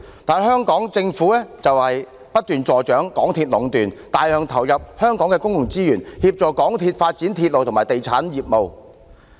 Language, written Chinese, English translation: Cantonese, 不過，香港政府卻不斷助長港鐵公司壟斷，大量投入香港的公共資源，協助港鐵公司發展鐵路和地產業務。, Even so the Hong Kong Government still encourages MTRCL to achieve monopolization and commits large amounts of Hong Kongs public resources to helping MTRCL develop its railway and real estate businesses